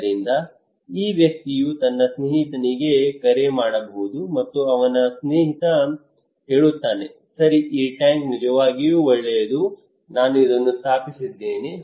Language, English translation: Kannada, So this person may call his friend, and his friend says okay this tank is really good I installed this one okay